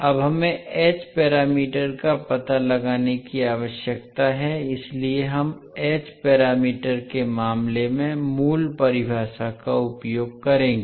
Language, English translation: Hindi, Now we need to find out the h parameters, so we will use the basic definition for in case of h parameters